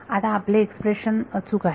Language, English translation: Marathi, Now our expression is correct